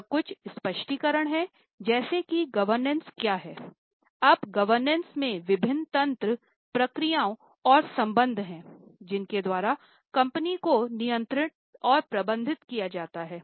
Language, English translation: Hindi, Now, governance consists of various mechanisms, processes and relationships by which the company is controlled and managed